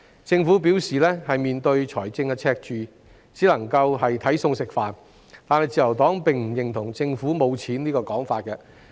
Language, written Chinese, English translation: Cantonese, 政府表示，面對財政赤字，只能夠"睇餸食飯"，但自由黨並不認同政府缺錢的說法。, The Government indicated that it could only spend within its means in the face of a fiscal deficit but the Liberal Party disagrees that the Government lacks money